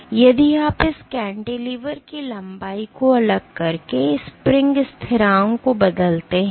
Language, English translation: Hindi, If your cantilever length is long then the spring constant is high